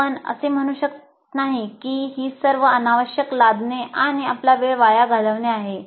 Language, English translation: Marathi, You cannot say that this is all an unnecessary imposition wasting our time